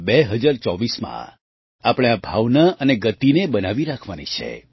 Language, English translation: Gujarati, We have to maintain the same spirit and momentum in 2024 as well